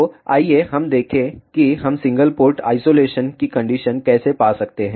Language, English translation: Hindi, So, let us see how we can find the condition for single port oscillation